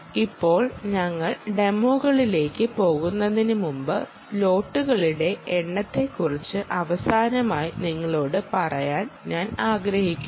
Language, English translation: Malayalam, now, before we, before we, go into the demos, i want to tell you last thing about the number of slots